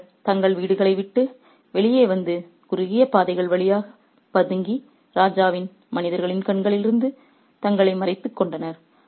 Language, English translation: Tamil, They came out of their houses and sneaked through narrow lanes, hiding themselves from the eyes of the king's men